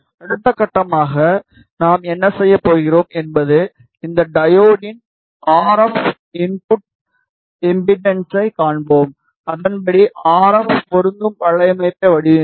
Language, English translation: Tamil, The next step what we are going to do we we will see the RF input impedance of this diode and accordingly we will design the RF matching network